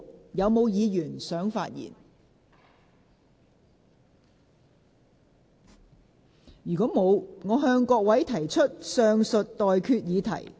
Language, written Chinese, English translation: Cantonese, 如果沒有議員想發言，我現在向各位提出上述待決議題。, If no Member wishes to speak I now put the question to you as stated